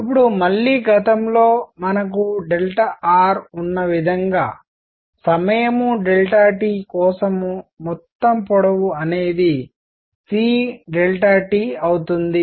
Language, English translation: Telugu, Now, again as previously we have delta r; total length for time delta T is going to be c delta t